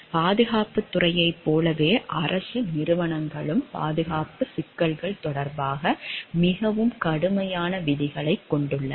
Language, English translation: Tamil, Government organizations like in defense sector have more stringent rules with respect to the security issues